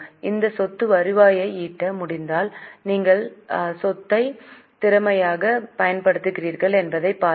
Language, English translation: Tamil, If that asset is able to generate the revenue, just see how efficiently you are using the asset